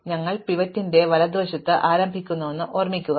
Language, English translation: Malayalam, So, remember that we start to the right of the pivot